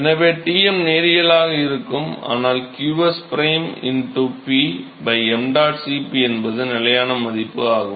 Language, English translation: Tamil, So, Tm is linear and this is nothing, but qs prime into P by mdot Cp that is the constant